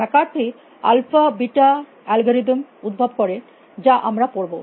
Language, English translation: Bengali, McCarthy invented the alpha beta I will go with them that we will study